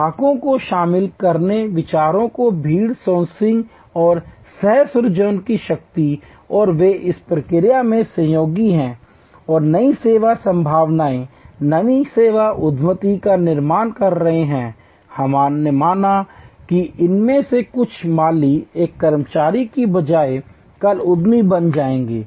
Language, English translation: Hindi, Power of crowd sourcing of ideas and co creation by involving customer and they are associates in the process and creating new service possibilities, new service entrepreneursm, we believe that some of these gardeners will become tomorrow entrepreneur rather than an employee